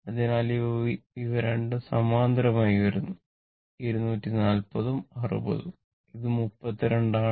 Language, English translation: Malayalam, So, these 2 are in parallel 240 into 60 and this is 32